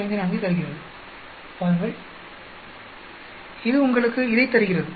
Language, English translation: Tamil, 54 see it gives you this